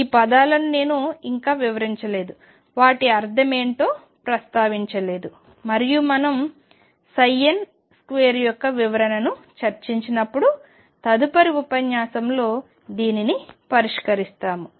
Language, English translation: Telugu, These terms we have not yet addressed what do they mean and we will address this in the next lecture when we discuss the interpretation of psi n square